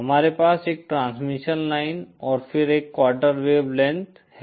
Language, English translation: Hindi, We have a piece of transmission line and then a quarter wavelength